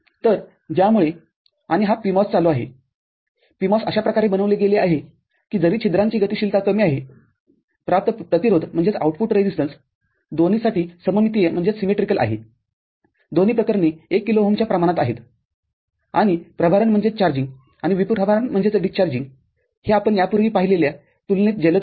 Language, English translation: Marathi, So, because of which and this PMOS on the PMOS is made in such a manner that the though the mobility of hole is less that the output resistance is symmetrical for both, of both the cases about of the order of say 1 kilo ohm and the charging and discharging is faster compared to what we had seen before